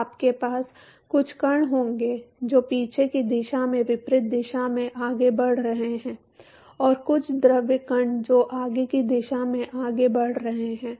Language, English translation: Hindi, So, you will have some particles which is moving in the reverse direction of the backward direction and some fluid particles which is moving in the forward direction